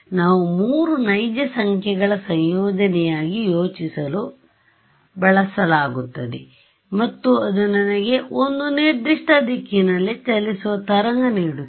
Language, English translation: Kannada, We are used to thinking of k as a combination of three real numbers and that gives me a wave traveling in a particular direction right